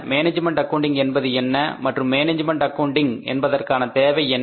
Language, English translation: Tamil, What is management accounting like cost accounting and financial accounting